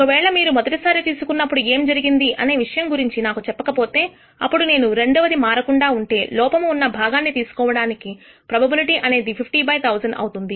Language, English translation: Telugu, Suppose you do not tell me anything about what happened in the first pick, then I will say that the probability of picking as defective part even in the second is unchanged it is 50 by 1,000